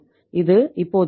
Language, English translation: Tamil, This now was 1